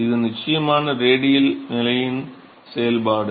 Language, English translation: Tamil, This is the function of radial position of course